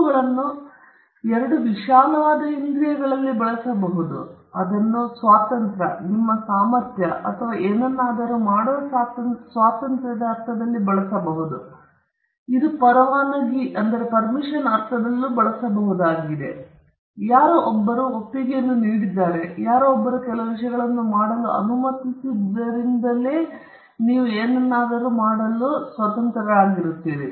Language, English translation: Kannada, Rights can be used in two broad senses: it could be used in the sense of a liberty, your ability or freedom to do something; it could also be used in the sense of a license, you are right to do something, because somebody has given a consent or somebody has been allowed to do certain things